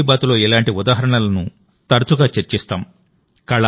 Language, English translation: Telugu, In 'Mann Ki Baat', we often discuss such examples